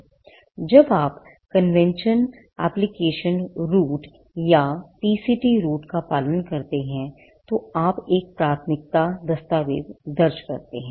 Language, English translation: Hindi, Now when you follow the convention application route or the PCT route, you file a priority document